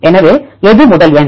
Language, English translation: Tamil, So, which one is the first number